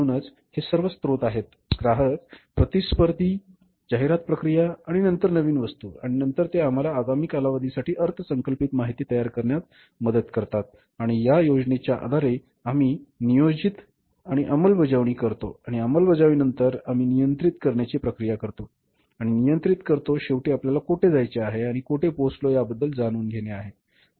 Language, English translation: Marathi, So, these are all sources customers, competitors, advertising process then new items and then they help us to prepare the budgeted information for the coming periods and on the basis of that we plan on the basis of the planned we go for the execution and after execution we perform the process of controlling and controlling is finally knowing about where we wanted to go about and where we have reached